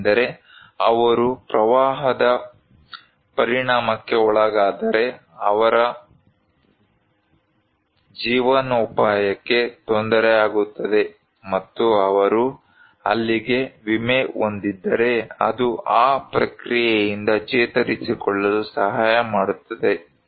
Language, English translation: Kannada, Because if they are impacted, their livelihood would be hampered, and if they have insurance back there that can help them to recover from that process